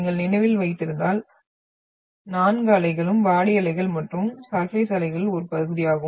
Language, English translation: Tamil, So if you remember, all four waves which are the part of the body waves and the surface waves